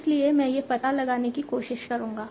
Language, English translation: Hindi, So let us try to do this